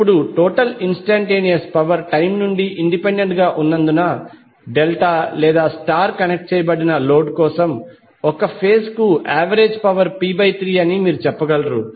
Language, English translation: Telugu, Now since the total instantaneous power is independent of time, you can say the average power per phase for the delta or star connected load will be p by 3